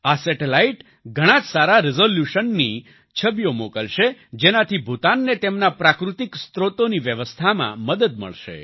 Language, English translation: Gujarati, This satellite will send pictures of very good resolution which will help Bhutan in the management of its natural resources